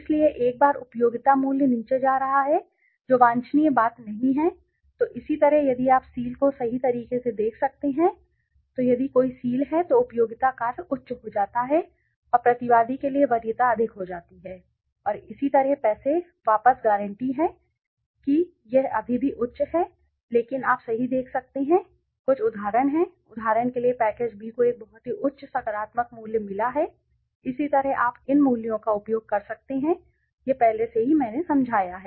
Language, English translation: Hindi, So, once the going up the utility value is going down that is not the desirable thing so similarly if you can look at seal right so if there is a seal then the utility function goes high the preference goes high for the respondent and similarly money back guarantee if it is there still high but you can see right there are some let us say for example the package B has got a very high positive value right similarly you can use this values ok this is already I have explained